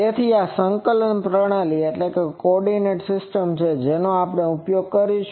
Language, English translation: Gujarati, So, this is the coordinate system we will use